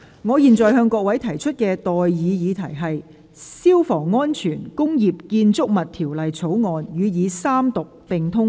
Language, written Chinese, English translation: Cantonese, 我現在向各位提出的待議議題是：《消防安全條例草案》予以三讀並通過。, I now propose the question to you and that is That the Fire Safety Bill be read the Third time and do pass